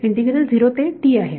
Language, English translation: Marathi, Integral is from 0 to t